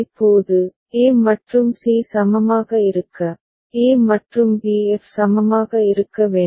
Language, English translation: Tamil, Now, a and c to be equivalent, a e and b f need to be equivalent